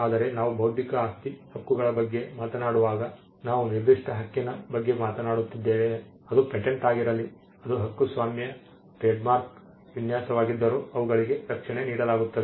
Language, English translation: Kannada, But when we talk about intellectual property rights we are talking about a specific right be it a patent be it copyright trademark design there are a list of light which are granted protection